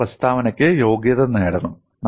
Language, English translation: Malayalam, We have to qualify the statement